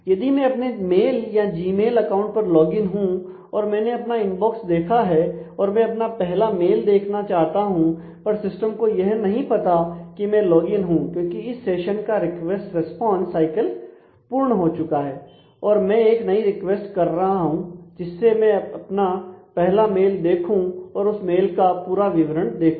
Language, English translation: Hindi, So, if I have logged in to my mail Gmail account and I have seen the I have got the inbox then when I want to check my first mail the system does not know any more that I am logged in because that session request response has is over and now I am making a new request that show me the first mail and I expect to see the whole body